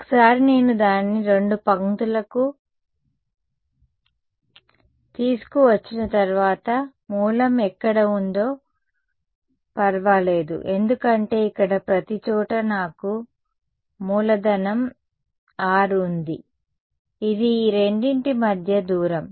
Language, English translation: Telugu, Once I boil it down to two lines it does not matter where the origin is because everywhere inside this over here I have capital R which is the distance between these two